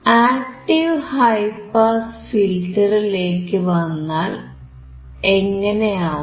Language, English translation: Malayalam, What about active high pass filter